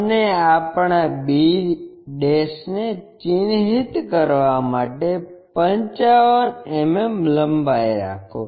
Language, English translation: Gujarati, And, there make 55 mm length to mark our b'